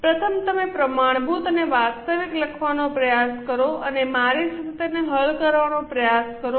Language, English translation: Gujarati, Firstly you try to write down the standard and actual and try to solve it along with me